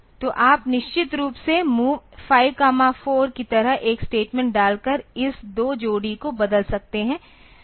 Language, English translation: Hindi, So, you can of course, replace this two pair by putting a statement like MOV 5 comma 4